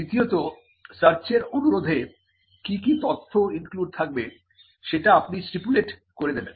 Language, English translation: Bengali, Secondly, you will stipulate the information that needs to be included in the search request